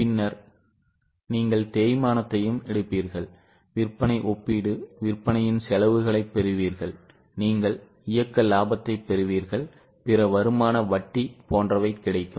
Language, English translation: Tamil, Then you will also take depreciation, then you will also take depreciation, then get cost of sales, compared it with sales, you will get operating profit, then other income, interest, etc